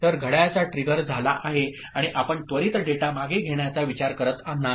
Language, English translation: Marathi, So, clock trigger has happened, you are not supposed to immediately withdraw the data